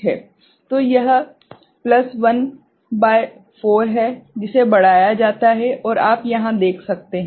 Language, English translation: Hindi, So, this is plus 1 upon 4 that is magnified, and you can see over here